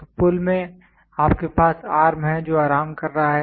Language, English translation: Hindi, So, in the bridge you have the arm which is resting